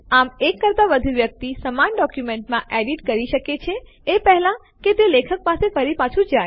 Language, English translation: Gujarati, Thus more than one person can edit the same document before it goes back to the author